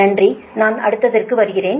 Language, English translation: Tamil, thank you, i am coming to next